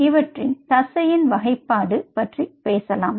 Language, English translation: Tamil, so lets talk about the classification of the muscle